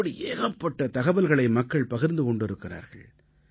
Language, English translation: Tamil, Many such stories have been shared by people